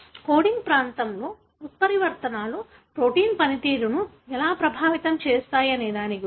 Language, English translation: Telugu, That is about how mutations in the coding region could affect the way the protein functions